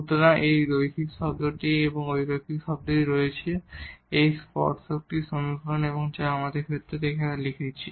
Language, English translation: Bengali, So, we have this linear term plus this non linear term and this is the equation of the tangent which we have written down in this case